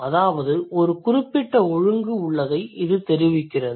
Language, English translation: Tamil, That means there has been a particular order